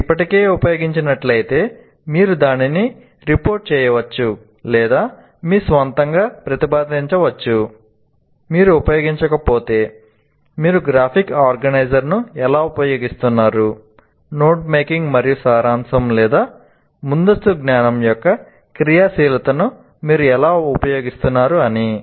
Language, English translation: Telugu, If you have already used, one can report that, or let's say we are requesting you to kind of propose on your own if you have not used, how do you use a graphic organizer or how do you use the activity of note making and summarizing or activation of prior knowledge